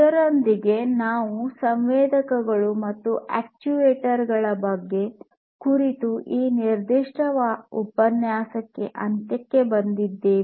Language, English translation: Kannada, So, with this we come to an end of this particular lecture on sensors and actuators